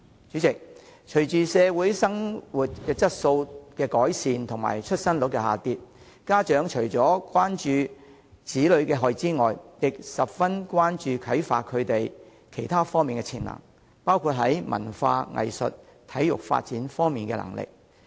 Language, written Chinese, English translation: Cantonese, 主席，隨着社會的生活質素改善及出生率下降，家長除了關注子女的學業外，亦十分關注如何啟發他們其他方面的潛能，包括在文化、藝術及體育發展方面的能力。, President with an improved quality of life in the society and a declining birth rate parents not only care about the academic performance of their children but are also concerned about how to develop other potential of their children say their cultural arts and sports talents